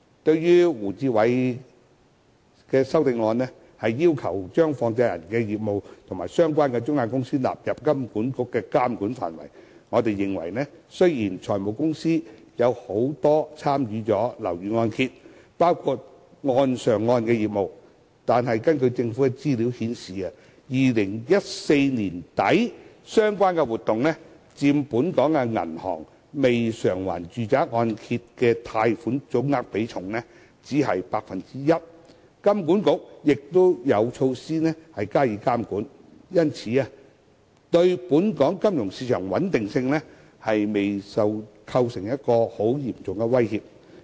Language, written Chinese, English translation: Cantonese, 對於胡志偉議員的修正案，要求將放債人的業務及相關中介公司納入金管局的監管範圍，我們認為，雖然很多財務公司都有參與樓宇按揭，包括"按上按"業務，但根據政府資料顯示 ，2014 年年底相關活動佔本港銀行未償還住宅按揭貸款總額比重只是 1%， 金管局亦有措施加以監管，故對本港金融市場穩定未構成嚴重威脅。, As regards the amendment of Mr WU Chi - wai which proposes the inclusion of the businesses of money lenders and the related intermediaries into the regulatory ambit of HKMA we consider that although many finance companies are involved in property mortgage business including re - mortgage business government information shows that as at the end of 2014 these activities accounted for only 1 % of the total outstanding residential mortgage loans of the local banks and as HKMA has in place regulatory measures they have not posed a serious threat to the stability of the local financial market